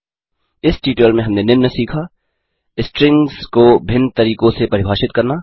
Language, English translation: Hindi, At the end of this tutorial, you will be able to, Define strings in different ways